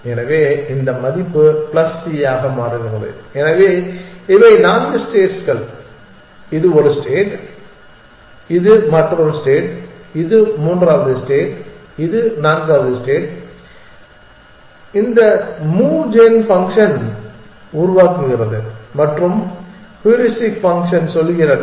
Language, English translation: Tamil, So, this value turns out to be plus c, so these are the four states this is one state this is another state this is the third state this is the fourth state that this move gun function generates and heuristic function tells